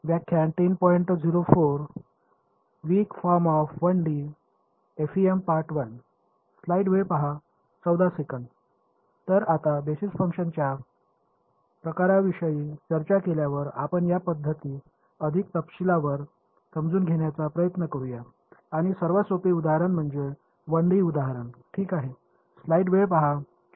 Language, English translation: Marathi, So, now having discussed the kinds of basis functions, we will look at we will try to understand this method in more detail and the simplest example is a 1D example ok